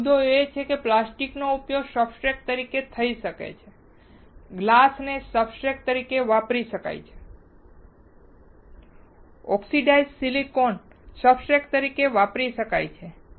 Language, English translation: Gujarati, So, the point is plastic can be used as substrate, glass can be used as a substrate, oxidized silicon can be used as a substrate